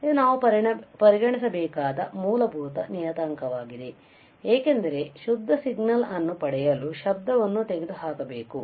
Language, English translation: Kannada, It is a fundamental parameter to be considered, because we have to remove this noise to obtain the pure signal right